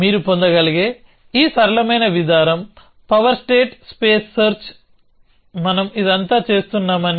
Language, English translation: Telugu, So, the simplest approach as you can get is the power state space search that we have been doing all this along